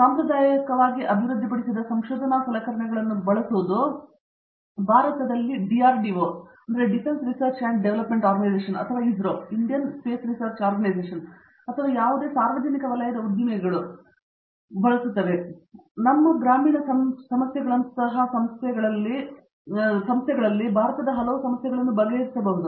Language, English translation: Kannada, Using the traditionally developed research tools there are lot of India’s specific problems that can be solved, whether it is an organization like DRDO or an ISRO or any of the public sector undertakings or our rural problems